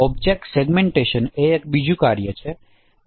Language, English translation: Gujarati, Object segmentation is another task